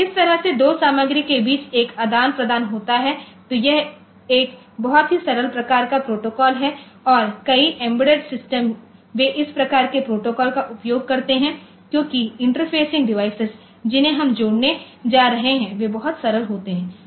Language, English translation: Hindi, So, that way there is an exchange between the two content; So, this is a very simple type of protocol and many of the embedded systems they use this type of protocol because the interfacing devices that we are going to connect, they are going to be very simple